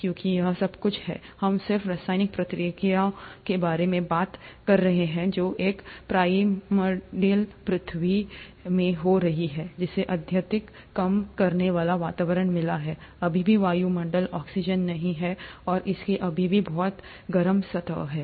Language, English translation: Hindi, Because all this while, we are just talking about chemical reactions which are happening in a primordial earth, which has got a highly reducing environment, still doesn't have atmospheric oxygen, and it still has a very hot surface